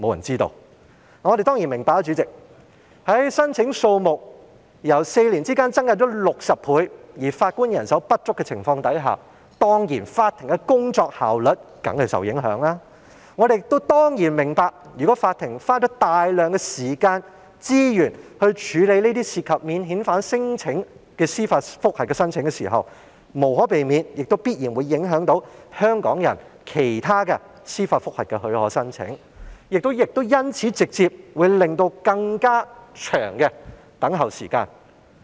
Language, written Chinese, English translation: Cantonese, 主席，我們當然明白，當申請數目在4年間增加了60倍，但法官人手又不足的情況下，法庭的工作效率當然會受到影響，我們亦明白如果法庭要花費大量時間和資源，來處理這些涉及免遣返聲請的司法覆核申請，將無可避免地必然會影響了其他香港人提出的司法覆核許可申請，亦會直接引起更長等候時間。, President we certainly understand that the work efficiency of law courts will definitely be affected given the 60 - fold increase in the number of applications within four years coupled with the shortage of judges . We also understand that if the courts have to use a great deal of time and resources to process these applications for judicial reviews involving non - refoulement claims those applications for leave to apply for judicial reviews by Hong Kong people will inevitably be affected then and it may directly result in longer waiting time